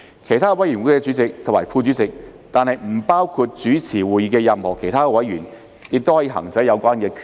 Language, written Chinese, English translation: Cantonese, 其他委員會主席或副主席，但不包括主持會議的任何其他委員，亦可行使有關權力。, The chairmen or deputy chairmen of other committees excluding any other member presiding over a meeting may also exercise such power